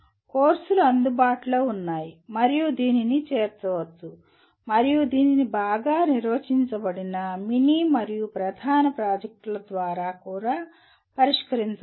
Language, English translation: Telugu, There are courses available and it can be included and it can also be addressed through well orchestrated mini and main projects